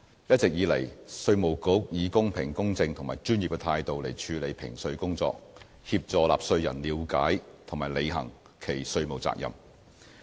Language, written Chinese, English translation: Cantonese, 一直以來，稅務局以公平、公正和專業的態度處理評稅工作，協助納稅人了解及履行其稅務責任。, All along IRD handles tax matters in a fair impartial and professional manner and assists members of the public to understand and fulfil their tax obligations